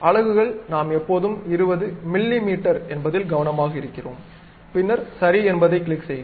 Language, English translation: Tamil, And units we always be careful like 20 mm then click OK